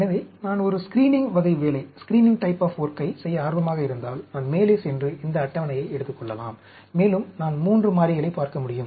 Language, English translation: Tamil, new slide So, if I am interested in doing a screening type of work, I can go up to, take this table, and I can look at 3 variables